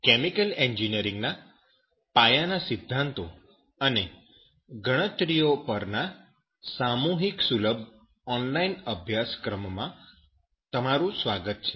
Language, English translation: Gujarati, Welcome to the massive open online course on basic principles and calculations in chemical engineering